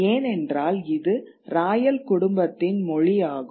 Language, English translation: Tamil, Because it was the language of the Royal Family